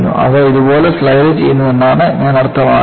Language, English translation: Malayalam, They are sliding like this